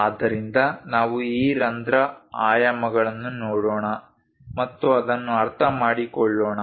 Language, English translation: Kannada, So, let us look at this hole, the dimensions and understand that